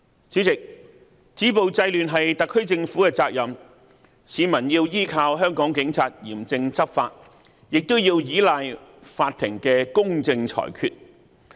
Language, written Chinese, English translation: Cantonese, 主席，止暴制亂是特區政府的責任，市民要依靠香港警察嚴正執法，也要依賴法庭的公正裁決。, President to stop violence and curb disorder is the duty of the SAR Government . Members of the public not only rely on the stringent enforcement of the law by Hong Kong Police Force but also the impartial adjudication by the courts